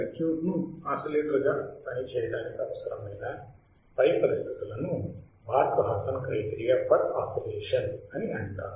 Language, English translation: Telugu, The above conditions required to work the circuit as an oscillator are called the Barkhausen criterion for oscillation